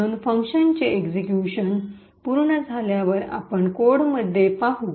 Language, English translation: Marathi, Therefore, after the function gets completes its execution which we will see as in the code